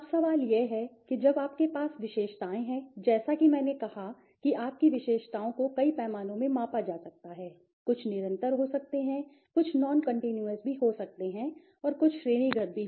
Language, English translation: Hindi, Now question is, when you are having attributes as I said your attributes could be measured in several scales, some could be continuous, some could be non continuous also, categorical also, right